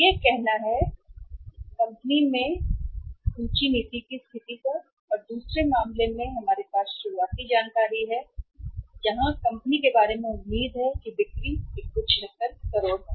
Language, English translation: Hindi, This is the say inventory policy position which has been worked out in in the company and in the other case we have the initial say information about the company that is the expected sales are 176 crores